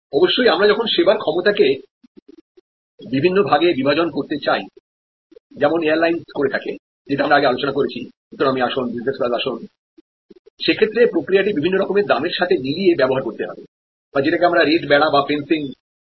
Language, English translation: Bengali, Of course, when we want to do splitting of capacity as I was discussing about the airlines, economy sheet, business sheet it has to go hand and hand with price or what we call rate fencing